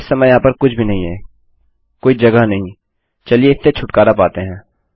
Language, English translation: Hindi, Theres nothing in there at the moment no space lets get rid of that